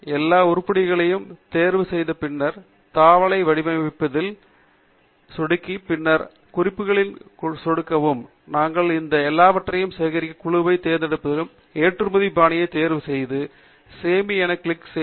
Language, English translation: Tamil, After we select all the items, click on the tab Format, and then, click on the References, choose the group that we have collected all these items under, choose the Export Style, and then, click on the Save button